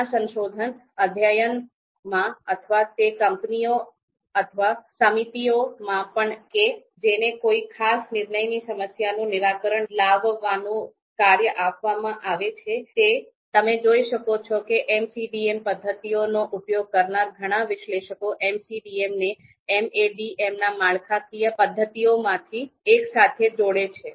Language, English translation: Gujarati, So typically, you would see you know many research studies or even in the you know companies or the committees which are which are which have been given the task to solve a particular decision problem, the many analysts which use MCDM methods, they typically combine one of the structural methods methods with one of the MCDM methods or MADM methods